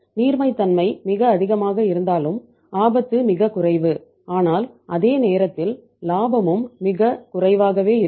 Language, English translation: Tamil, Though liquidity is also very high risk is very low but at the same time profits will also be very very low